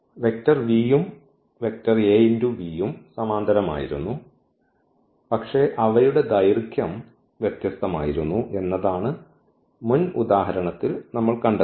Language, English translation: Malayalam, This is what we have seen in previous example that this vector v and the vector Av they were just the parallel, the length was different